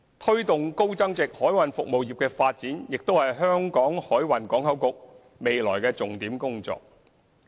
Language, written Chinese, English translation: Cantonese, 推動高增值海運服務業的發展亦是香港海運港口局未來的重點工作。, Promoting the development of the high value - added maritime services industry is also the focus of the work of HKMPB in the future